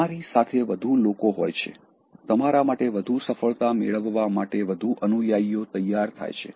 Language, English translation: Gujarati, And, you will have more people; more willing followers to beget more success on you